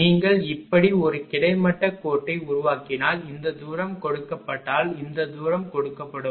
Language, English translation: Tamil, If you make a horizontal line thi[s] like this and this distance is given this distance is given